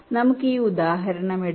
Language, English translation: Malayalam, ah, let's take this example